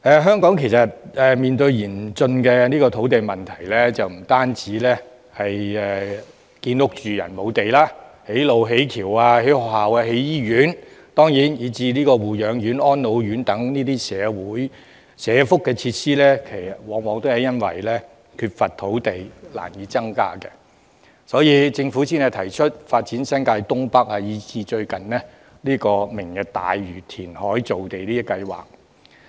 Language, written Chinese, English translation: Cantonese, 香港面對嚴峻的土地問題，不單興建居住房屋的土地不足，築橋、築路、興建學校、醫院，以至護養院和安老院等社福設施往往亦因為缺乏土地而難以實行，所以政府才提出發展新界東北，以至最近"明日大嶼"填海造地計劃。, Hong Kong faces a severe land issue . Not only is there not enough land for housing the construction of bridges roads schools hospitals and social welfare facilities such as nursing homes and residential care homes for the elderly is often difficult to implement due to the lack of land . For this reason the Government has proposed the development of North East New Territories and recently the Lantau Tomorrow reclamation programme